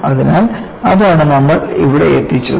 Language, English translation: Malayalam, So,that is what you get here